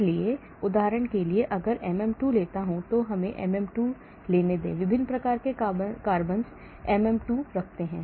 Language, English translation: Hindi, So for example if I take MM2 let us take MM2, look at the different types of carbons MM2 has